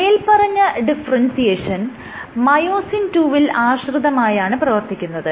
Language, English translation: Malayalam, So, this differentiation is myosin II dependent